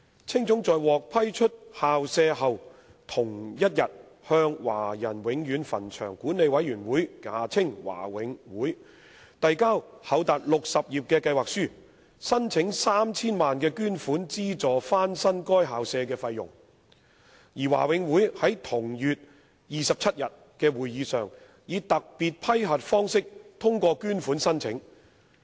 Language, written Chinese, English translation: Cantonese, 青總在獲批出校舍後同日向華人永遠墳場管理委員會遞交厚達60頁的計劃書，申請 3,000 萬元捐款資助翻新該校舍的費用，而華永會在同月27日的會議上以特別批核方式通過捐款申請。, After being granted the school premises HKACA submitted on the same day a voluminous proposal comprising as many as 60 pages to the Board of Management of the Chinese Permanent Cemeteries the Board applying for a donation of 30 million to subsidize the cost for renovation of the school premises . The application for donation was approved by the Board at its meeting on the 27 of the same month in the form of a special approval